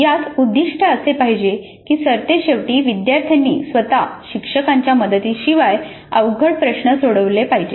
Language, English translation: Marathi, The objective would be that at the end students must be able to solve complex problems all by themselves with zero coaching by the instructor